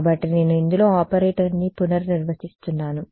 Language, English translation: Telugu, So, I am redefining the operator in this